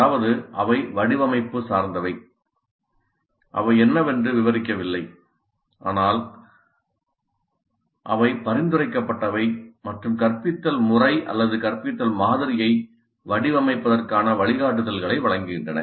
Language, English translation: Tamil, Just they do not describe what is but they are prescriptive and give guidelines for designing the instructional method or instructional model